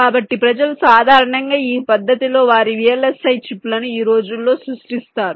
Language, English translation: Telugu, so people normally create their vlsi chips today in this fashion